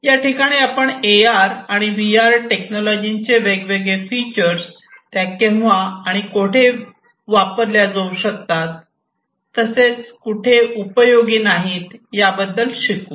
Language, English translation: Marathi, So, here you are just going to learn about the different features of AR, different features of VR, how they can be used, where they can be used, where they cannot be used